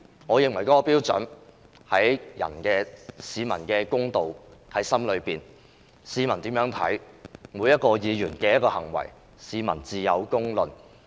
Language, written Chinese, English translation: Cantonese, 我認為譴責的標準和公道已在市民心中，市民如何看待每一名議員的行為，自有公論。, I believe a fair public opinion has already been formed in the community with regard to the criteria adopted for censuring a Member and the fairness of doing so as well as the behaviours of each individual Member in this Council